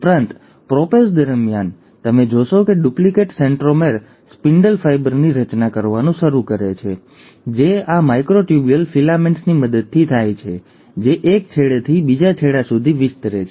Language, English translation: Gujarati, Also, during the prophase, you find that the duplicated centromere starts forming a spindle fibre which is with the help of these microtubule filaments which are extending from one end to the other